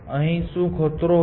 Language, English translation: Gujarati, What is the danger here